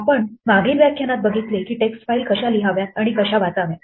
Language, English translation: Marathi, The last lecture we saw how to read and write text files